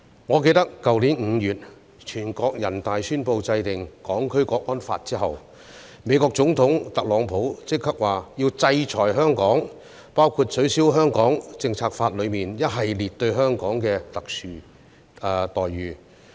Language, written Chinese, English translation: Cantonese, 我記得去年5月全國人大宣布制定《香港國安法》後，美國總統特朗普立即表示要制裁香港，包括取消《美國―香港政策法》中一系列給予香港的特殊待遇。, I remember that after the National Peoples Congress announced the enactment of the National Security Law in May last year Donald TRUMP immediately expressed his intention to impose sanctions on Hong Kong including the revocation of a series of special treatments for Hong Kong under the US - Hong Kong Policy Act